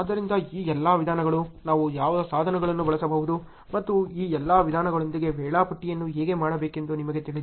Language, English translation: Kannada, So, all these, you know what tools we can use and how to do the scheduling with all these methods ok